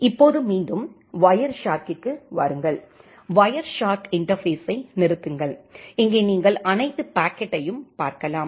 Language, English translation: Tamil, Now come back to the Wireshark, stop the Wireshark interface and here you can see all the packet